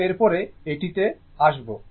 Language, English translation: Bengali, So, this is what